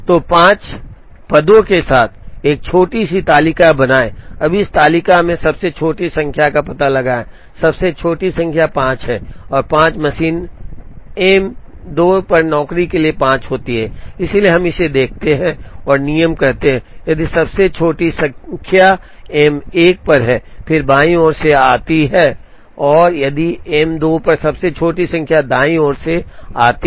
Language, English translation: Hindi, So, create a small table with 5 positions, now find out the smallest number in this table, the smallest number is 5 and 5 happens to be for job 5 on machine M 2, so we look at this and the rule says, if the smallest number is on M 1, then come from the left and if the smallest number is on M 2 come from the right